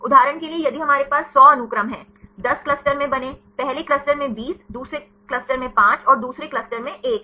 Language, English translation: Hindi, For example, if we have 100 sequences; made into 10 clusters, first cluster has 20, second cluster has 5 and another cluster has 1